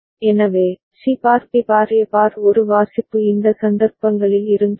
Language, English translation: Tamil, So, what the reading for C bar B bar A bar would have been in these cases